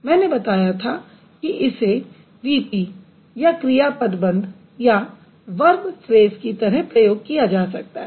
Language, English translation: Hindi, And syntactically I mentioned it can be used as a VP or a verb phrase